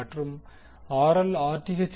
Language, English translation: Tamil, And RL should be equal to Rth